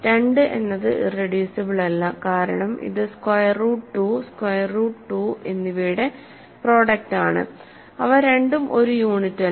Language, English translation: Malayalam, So, 2 is not irreducible because it is a product of square root 2 and square root 2 right neither of them is a unit